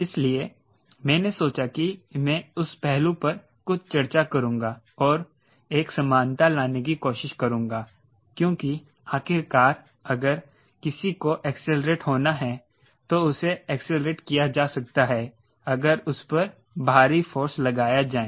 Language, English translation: Hindi, i will discuss something on that aspect and try to bring a commonality because, after all, if somebody, somebody has to accelerate, it can be accelerated if it is acted upon by external force